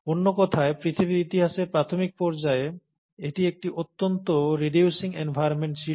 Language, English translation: Bengali, So in other words, the initial phase of earth’s history, it had a highly reducing environment